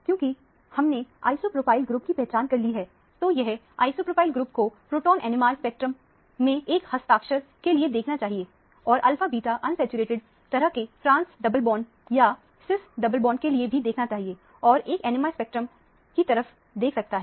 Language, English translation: Hindi, Since we have identified an isopropyl group, it should look for signatures of isopropyl group in the proton NMR spectrum; and, also look for an alpha beta unsaturated kind of a trans double bond or a cis double bond; one can look at the NMR spectrum